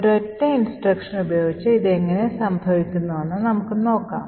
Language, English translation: Malayalam, So, let us see how this happens with a single instruction, okay